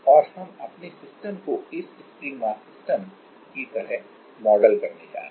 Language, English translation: Hindi, Now, and we are going to model our systems like this spring mass system